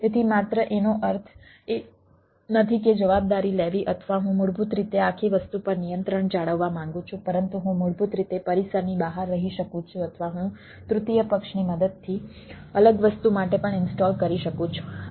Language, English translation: Gujarati, so i i ah, not only means take the responsibility, or i, basically i want to maintain the control over the whole thing, but i basically may ah off premise, or i installed out with the help of a third party, to a separate thing also